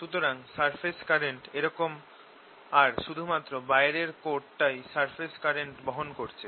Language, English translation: Bengali, so surface current like this, this only the outer one that carries the surface current